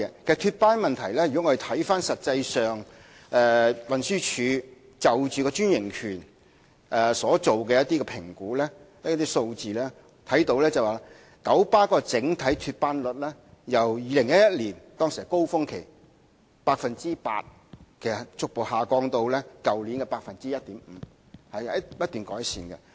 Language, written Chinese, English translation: Cantonese, 就脫班問題，如果我們看看運輸署就專營權所作的一些評估和數字，便會看到九巴的整體脫班率由2011年高峰期的 8% 逐步下降至去年的 1.5%， 是不斷改善的。, Speaking of lost trips if we look at certain evaluations and statistics compiled by the Transport Department TD concerning KMBs franchise we will notice a gradual decline in KMBs overall lost trip rate from 8 % at its peak in 2011 to 1.5 % last year and an ongoing amelioration in the problem